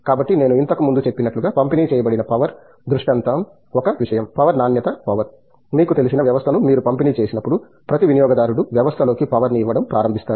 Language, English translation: Telugu, So, as I mentioned earlier the distributed power scenario is one thing, power quality power, when you have distributed system of you know, every consumer starts feeding in power into the system